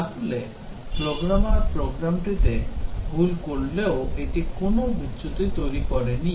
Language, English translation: Bengali, So, even the program the programmer committed a mistake, but still it did not cause a fault